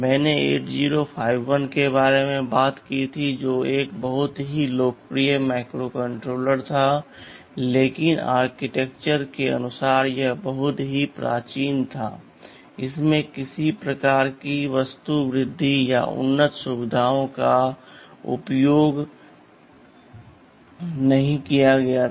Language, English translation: Hindi, Well I talked about 8051 that was a very popular microcontroller no doubt, but architectureal wise it was pretty primitive, it did not use any kind of architectural enhancement or advanced features ok